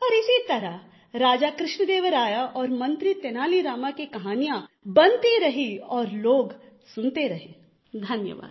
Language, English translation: Hindi, " And like this the stories of King Krishnadeva Rai and minister Tenali Rama kept on evolving and people kept listening